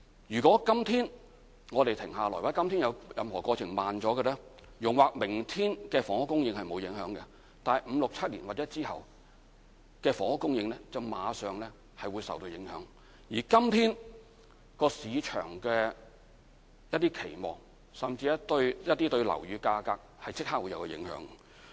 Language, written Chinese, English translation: Cantonese, 如果今天我們停下來或有任何過程慢了，容或明天的房屋供應不會受影響，但五六七年或之後的房屋供應會馬上受影響，而對今天市場的期望甚至對樓宇價格是有即時影響的。, If today we suspend our work or slow down any single step in the whole process the housing supply tomorrow may probably not affected but the housing supply in five six or seven years will be affected right away . And there will be immediate impact on market expectation today or even on housing prices